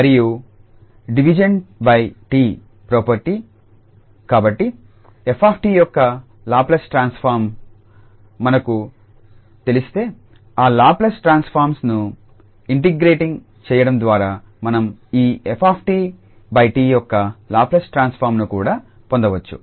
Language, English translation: Telugu, And the division by t property, so if we know the Laplace transform of f t then we can also get the Laplace transform of this f t divided by t by just integrating that Laplace transform